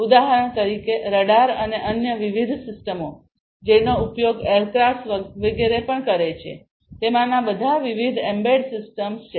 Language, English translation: Gujarati, For example, the radar and different other you know systems that are used even the aircrafts etcetera; they are all having different embedded systems in them